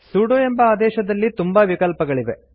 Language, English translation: Kannada, The sudo command has many options